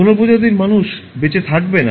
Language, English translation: Bengali, No species of human beings will survive